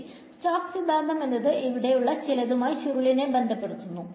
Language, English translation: Malayalam, So Stoke’s theorem is going to relate the curl to something over here